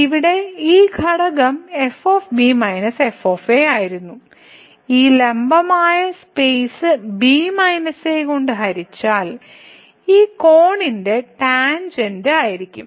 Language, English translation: Malayalam, So, this quotient here minus were minus this perpendicular divided by the space will be the tangent of this angle